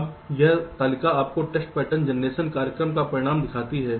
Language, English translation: Hindi, now this table shows you the result of a test pattern generation program